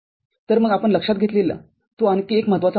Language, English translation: Marathi, So, that is another important point that we take note of